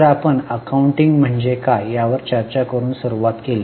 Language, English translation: Marathi, So, we started with discussion on what is meant by accounting